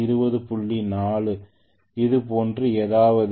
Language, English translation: Tamil, 4 or something like that